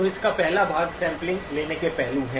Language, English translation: Hindi, So the first part of it is the aspects of sampling